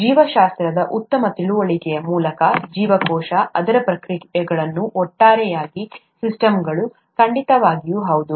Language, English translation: Kannada, Through a better understanding of biology, the cell, it's processes, the systems as a whole, certainly yes